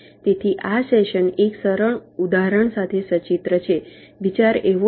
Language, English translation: Gujarati, so this session illustrated with a simple example